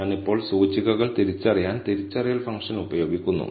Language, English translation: Malayalam, I now, use the identify function to identify the indices